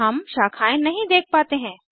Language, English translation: Hindi, We do not see the branching